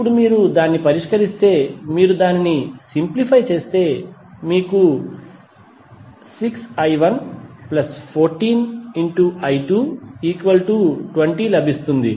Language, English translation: Telugu, Now, if you solve it, if you simplify it you get 6i 1 plus 14i 2 is equal to 0